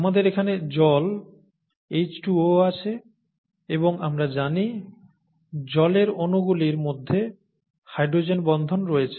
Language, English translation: Bengali, We have water here, you know H2O and there is hydrogen bonding between water molecules that we know now